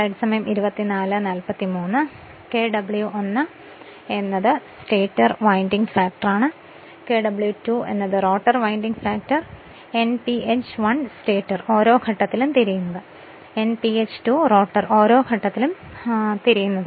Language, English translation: Malayalam, Kw1 is stator winding factor, Kw2 rotor winding factor Nph1 stator turns per phase Nph2 rotor turns per phase